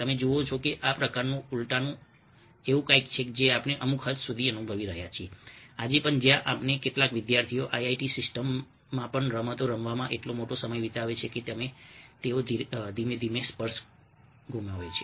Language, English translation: Gujarati, you see that this kind of a reversal is something which we are experiencing to a certain extent even today, where some of our students, even in ah the ii t system, ah spend is such a huge amount of time playing games that they gradually lose touch with reality